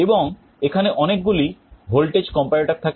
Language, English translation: Bengali, And there are a series of voltage comparators